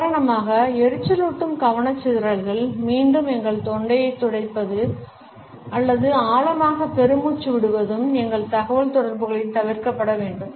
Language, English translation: Tamil, Annoying distractions for example, clearing our throats repeatedly or sighing deeply should also be avoided in our communication